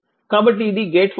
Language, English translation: Telugu, So, it is a gate function